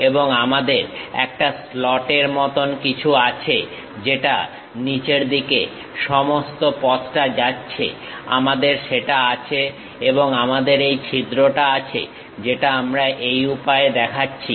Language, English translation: Bengali, And, we have something like a slot which is going all the way down, we are having that and we have this hole which we are going to show it in this way